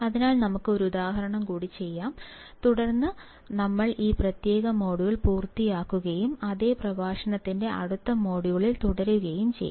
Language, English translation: Malayalam, So, let us do one more example and then, we will finish this particular module and we continue in a next module of the same lecture